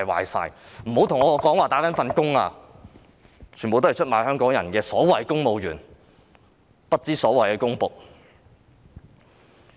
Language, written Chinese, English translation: Cantonese, 別跟我說他們只是"打份工"，他們全都是出賣香港人的所謂公務員、不知所謂的公僕。, Do not tell me that they are just working for a living . These so - called civil servants are betraying the people of Hong Kong . These public servants are ridiculous